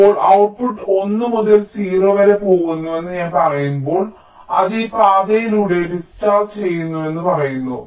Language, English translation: Malayalam, now, when i say that the output is going from one to zero, we say that it is discharging via this path